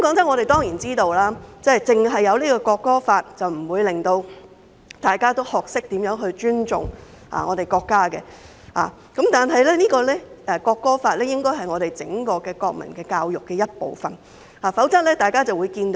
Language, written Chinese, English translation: Cantonese, 我們當然知道，訂立《條例草案》不能令大家學懂尊重國家，但《條例草案》應該是整個國民教育的一部分，否則教育就會淪陷。, We certainly understand that the enactment of the Bill will not teach people how to respect the country . But the Bill should form a part of the national education as a whole otherwise education will fail